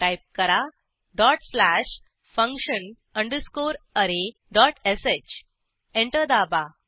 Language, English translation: Marathi, Type dot slash function underscore array dot sh Press Enter